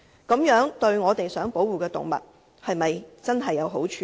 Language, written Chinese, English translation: Cantonese, 這樣對我們想保護的動物是否有好處呢？, Will this do any good to the animals that we seek to protect?